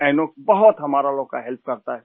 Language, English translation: Hindi, Inox helps us a lot